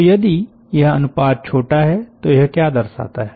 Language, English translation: Hindi, so if this ratio is small, what does it indicate